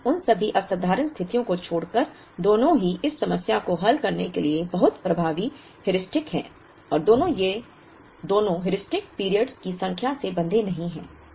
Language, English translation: Hindi, But, leaving out all those exceptional situations both are very effective Heuristics to solve this problem and both these Heuristics are not bound by the number of periods